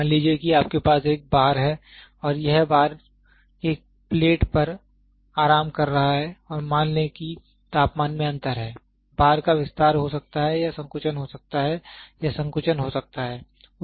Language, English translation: Hindi, Suppose you have a bar and this bar is resting on a plate and assume that there is a temperature difference, the bar might expand or might contract expand or might contract